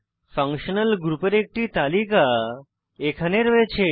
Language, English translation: Bengali, A list of functional groups is available here